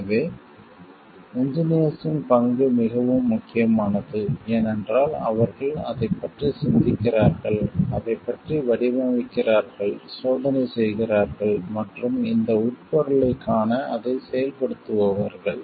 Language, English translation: Tamil, So, there becomes the role of the engineer is more important because, they are the people who are thinking about it who are designing about it, who are testing and also who are implementing it to see this implication